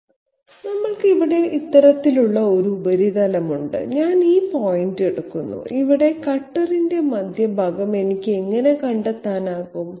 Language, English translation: Malayalam, We have a surface of this type here, I take this point, how can I find out the centre point of the cutter here